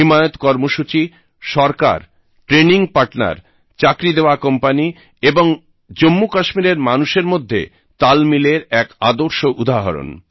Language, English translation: Bengali, The 'HimayatProgramme'is a perfect example of a great synergy between the government, training partners, job providing companies and the people of Jammu and Kashmir